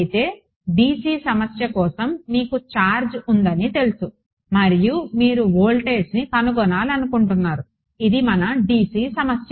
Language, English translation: Telugu, So, for a dc problem what is the you know you have a charge and you want to find out voltage that is your dc problem